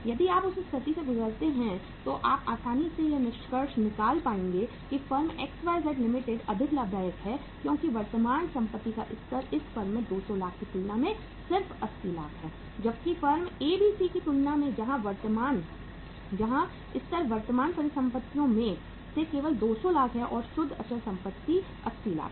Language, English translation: Hindi, If you go by that situation you will easily be able to conclude that the firm XYZ Limited seems to be more profitable because level of the current asset is just 80 lakhs as compared to 200 lakhs uh in this firm as compared to the firm ABC where the level of current assets is just reverse that is 200 lakhs and the net fixed asset is 80 lakhs